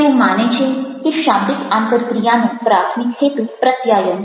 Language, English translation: Gujarati, he or she believes that communication is the primary purpose of verbal interaction